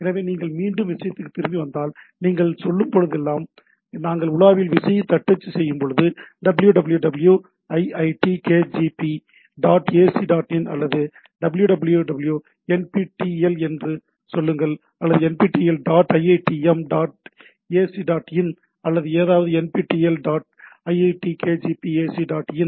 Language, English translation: Tamil, So, if you again come back to the thing, like whenever you say, when we type key in into the browser say “www iit kgp dot ac dot in” or say “www nptel” or say “nptel dot iitm dot ac dot in” or something, “nptel dot iit kgp ac dot in”, so what the this browser or the client does